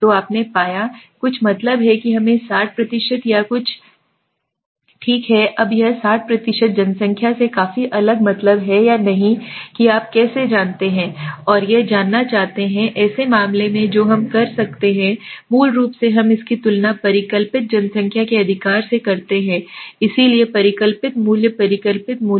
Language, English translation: Hindi, So you found something the mean is let us say 60% or something okay now this 60% is significantly different from the population mean or not how would you know and to know that is such cases what we do is basically we compare it against the hypothesized population mean right so the hypothesized value hypothesized value